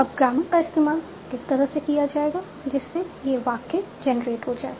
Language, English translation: Hindi, Now, how do I, what kind of rules in the grammar do I use so that I can generate the sentence